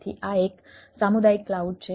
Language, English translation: Gujarati, so this is a community cloud